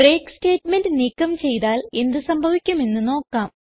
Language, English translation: Malayalam, Now let us see what happens if we remove the break statement